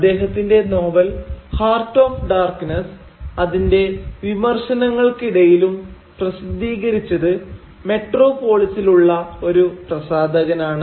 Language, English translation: Malayalam, And his novel Heart of Darkness, in spite of its criticism, was itself published by a publisher situated in the metropolis